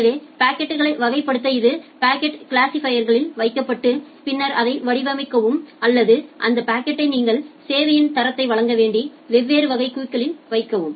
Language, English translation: Tamil, So, it is put in the packet classifier to classify the packets, and then design that or put that packet associated with different type of queues that you have to provide quality of service